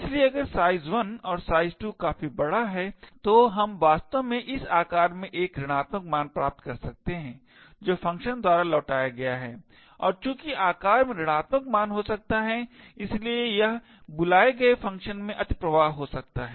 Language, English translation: Hindi, Therefore if size 1 and size 2 is large enough we may actually obtain size to be a negative value this size is what is returned by the function and since size can be a negative value it could result in an overflow in the callee function